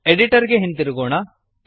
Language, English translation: Kannada, Let me go back to the editor